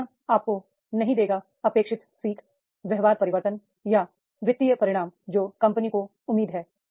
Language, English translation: Hindi, Training will not deliver the expected learning, behavior change or financial results that the company expects